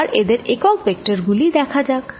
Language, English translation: Bengali, let us look at the unit vectors